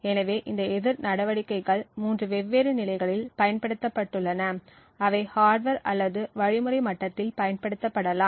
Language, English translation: Tamil, So, these counter measures have been applied at three different levels they can be applied at the hardware level, at the implementation level, or at the algorithm level